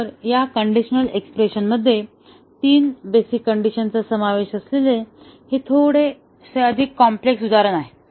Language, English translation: Marathi, So, here it is slightly more complex example involving three basic conditions in this conditional expression